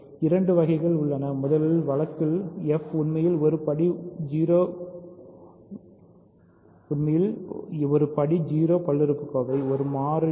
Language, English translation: Tamil, There are two cases; in the first case f is actually a degree 0 polynomial, a constant